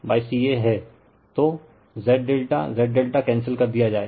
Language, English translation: Hindi, So, Z delta Z delta will be cancelled